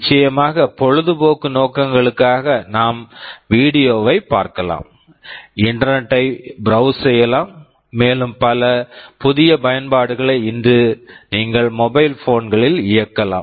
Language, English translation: Tamil, And of course, for recreational purposes we can watch video, we can browse internet, and there are so many new applications that you can run on mobile phones today